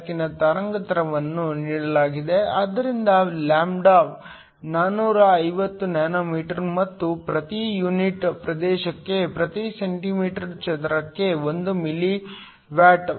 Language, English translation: Kannada, The wavelength of the light is given, so lambda is 450 nm and intensity per unit area is 1 milli watt per centimeter square